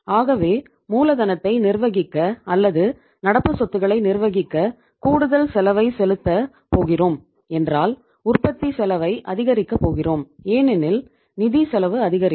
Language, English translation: Tamil, So uh if we are going to pay extra cost on managing the working capital or the current assets we are going to increase the cost of production because financial cost is going to increase